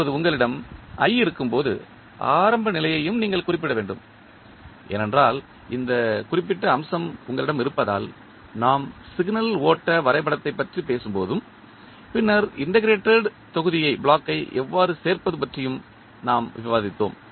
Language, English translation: Tamil, Now, when you have i you need to specify the initial condition also because you have this particular aspect we discussed when we were talking about the signal flow graph then how to add the integrated block